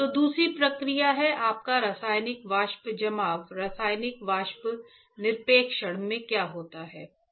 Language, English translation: Hindi, So, the second process is your chemical vapor deposition in chemical vapor deposition, what happens